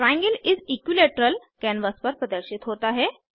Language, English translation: Hindi, An equilateral triangle is drawn on the canvas